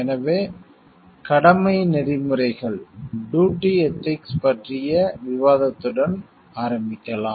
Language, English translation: Tamil, So, let us start with the discussion of duty ethics